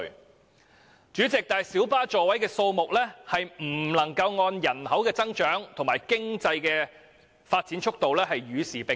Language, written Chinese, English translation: Cantonese, 可是，主席，小巴座位的數目並未有隨着人口增長及經濟發展的速度與時並進。, Nevertheless President the seating capacity of light buses has not been increased in tandem with the increase in population and the pace of economic development